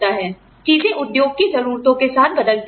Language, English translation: Hindi, You know, things change with the, needs of the industry